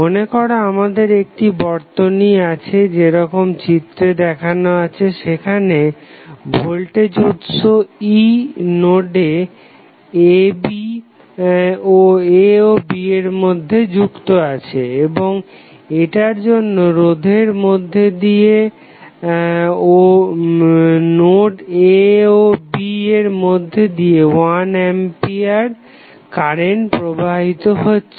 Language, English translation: Bengali, Suppose, we have originally 1 circuit as shown in this figure, where 1 voltage source E is present between node A and B and it is causing a current I to flow in the resistance and along the note A and B